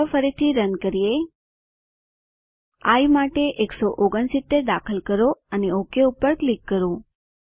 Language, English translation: Gujarati, Lets run again, lets enter 169 for i and click OK